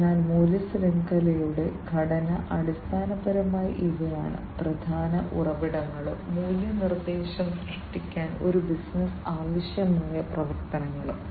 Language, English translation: Malayalam, So, value chain structure basically these are the key resources and the activities that a business requires to create the value proposition